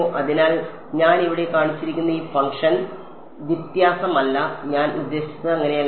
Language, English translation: Malayalam, So, this function that I have shown here is not difference is not I mean it is